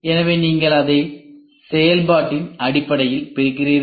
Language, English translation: Tamil, So, you divide it based on function and not on shape and size